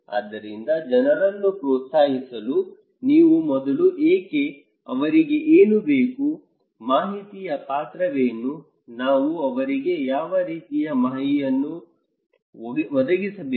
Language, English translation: Kannada, So, in order to encourage people you first need to know why, what they need, what is the role of information, what kind of information we should provide to them